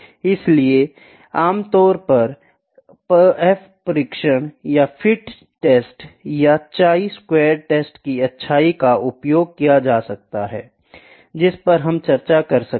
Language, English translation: Hindi, So, this is generally used using the F test or goodness of fit test, chi squared test that we might discuss